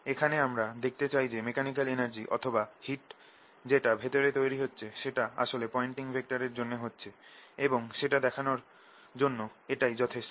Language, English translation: Bengali, we just want to show that the mechanical energy or the heat that is being produced inside is actually brought in by pointing vector, and this is sufficient to show that